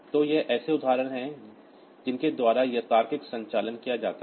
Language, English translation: Hindi, So, these are the examples by which this logical operations are done